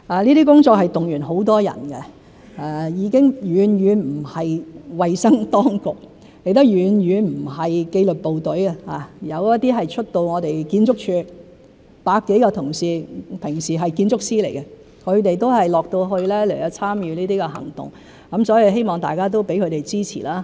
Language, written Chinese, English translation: Cantonese, 這些工作動員很多人，已經遠遠不只是衞生當局，亦遠遠不只是紀律部隊，有出動到我們建築署百多位同事，他們平日是建築師，亦都到區內參與這些行動，希望大家能給他們支持。, They are not just from the health authorities but also from the disciplined forces . Over a hundred colleagues from the Architectural Services Department who are architects on ordinary days have been deployed to various districts to participate in those operations . I hope everyone can give them support